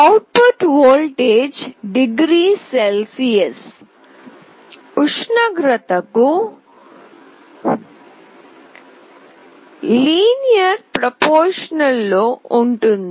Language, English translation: Telugu, It means that the output voltage is linearly proportional to the temperature in degree Celsius